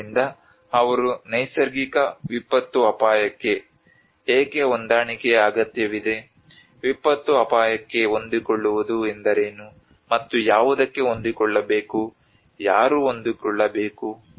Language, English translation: Kannada, So they talk about why adaptation is needed for natural disaster risk, what is adaptation to disaster risk, and adapt to what, who has to adapt